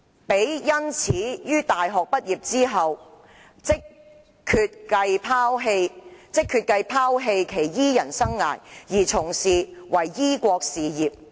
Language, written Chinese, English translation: Cantonese, 彼因此於大學畢業之後，即決計拋棄其醫人生涯，而從事於醫國事業。, Therefore immediately after I graduated from university I have decided to give up my profession of healing people and instead engage in the undertaking of curing the country